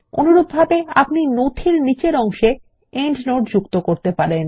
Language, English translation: Bengali, Likewise, you can insert an endnote at the bottom of the document